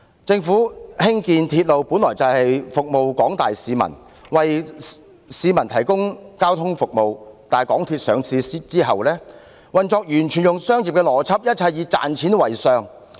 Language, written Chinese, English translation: Cantonese, 政府興建鐵路本來是要服務廣大市民，為市民提供交通服務，但在港鐵公司上市後，運作完全採用商業原則，一切以賺錢為上。, The original aim of the Government in building railways was to serve the general public and provide transport services to them but after the listing of MTRCL the operation entirely follows commercial principles and making money is of the utmost importance